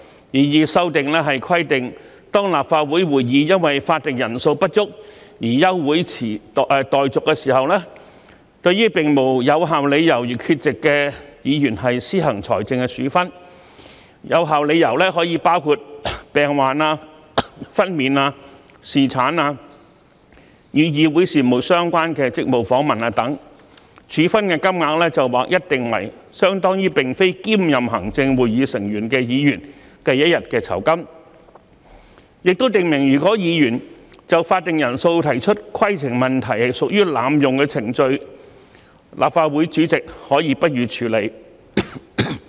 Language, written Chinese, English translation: Cantonese, 擬議修訂規定，當立法會會議因法定人數不足而休會待續時，對並無有效理由而缺席的議員施行財政處分，有效理由可包括病患、分娩、侍產、與議會事務相關的職務訪問等，處分金額則劃一定為相當於並非兼任行政會議成員的議員一天的酬金；亦訂明如果議員就法定人數提出規程問題屬濫用程序，立法會主席可不予處理。, The proposed amendment provides that financial penalties should be imposed on Members absent without valid reasons when a Council meeting is adjourned due to a lack of quorum . Valid reasons may include illness maternity paternity Council - business related duty visits etc . The amount of penalty will be set at an across - the - board level equivalent to one days remuneration of a Member not serving on the Executive Council